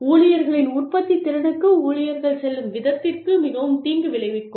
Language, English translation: Tamil, Can be very detrimental, to the way the employees, to the employee's productivity